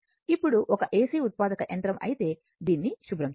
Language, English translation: Telugu, Now, if an AC generator, so let me clear it